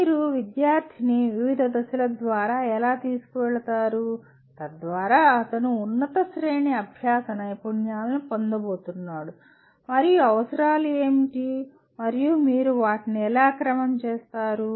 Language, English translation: Telugu, How do you take the student through various phases so that he is going to acquire the higher order learning skills and what are the prerequisites and how do you sequence them